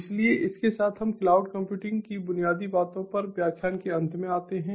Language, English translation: Hindi, so with this we come to an end of the lecture on the fundamentals of cloud computing